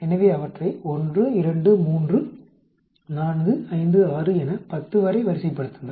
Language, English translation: Tamil, So rank them 1, 2, 3, 4, 5, 6 up to 10